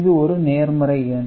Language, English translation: Tamil, So, this is the positive number